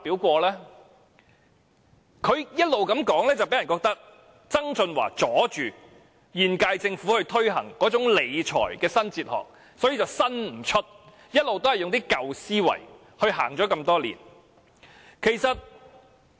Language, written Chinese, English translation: Cantonese, 她這種說法，令人以為曾俊華妨礙了現屆政府推行"理財新哲學"，於是未能創新，多年來一直沿用舊思維理財。, Her words may make people think that John TSANG actually obstructed the implementation of the New Fiscal Philosophy so the current - term Government could not make any reform and could only stick to the old thinking in fiscal management over the years